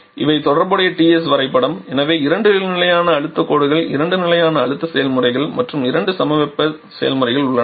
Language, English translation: Tamil, These are corresponding TS diagram, so there are two constant pressure lines two constant pressure processes and two isothermal processes